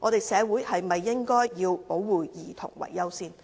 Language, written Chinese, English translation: Cantonese, 社會是否應該以保護兒童為優先？, Should the community put protecting children as the first priority?